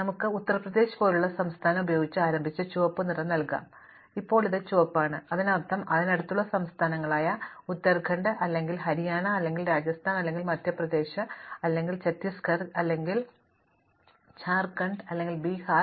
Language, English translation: Malayalam, So, we can start for example, with a state like Uttar Pradesh and give it a red color and now this is red, it means that state which are near it such as Uttarakhand, or Haryana, or Rajasthan, or Madhya Pradesh, or Chhattisgarh, or Jharkhand, or Bihar